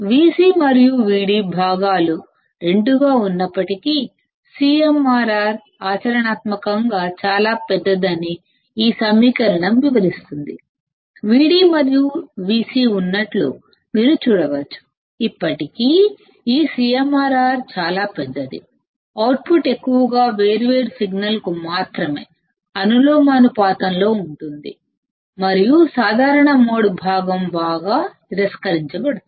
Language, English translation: Telugu, This equation explains that a CMRR is practically very large, though both V c and V d components are present; you can see V d and V c are present, still this CMRR is very large; the output is mostly proportional to the different signal only and common mode component is greatly rejected